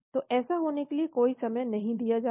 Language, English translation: Hindi, So there is no time given for that to happen